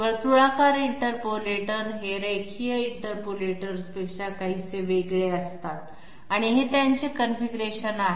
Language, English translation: Marathi, Circular interpolators, they have they are somewhat different from the linear interpolators, this is their configuration